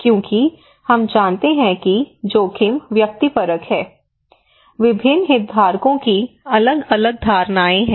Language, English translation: Hindi, that we know that risk is subjective, different stakeholders have different perceptions